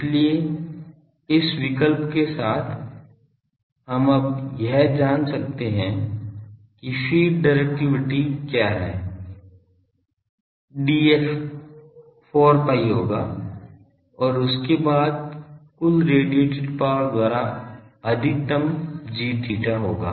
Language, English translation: Hindi, So, with this choice we can now find out what is the feed directivity, D f will be 4 pi then maximum of g theta by total power radiated